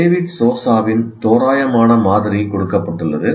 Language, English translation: Tamil, Now this is the approximate model as given by David Sousa